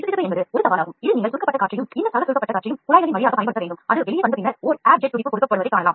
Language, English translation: Tamil, The viscosity is a challenge where in which you have to apply compressed air and this fellow compressed air, the through the tubing it comes the compressed air pipe it comes and then you see and air jet pulse is given